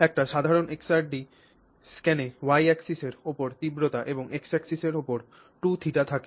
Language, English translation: Bengali, So, a typical XRD scan has intensity on your Y axis and you have 2 theta on the X axis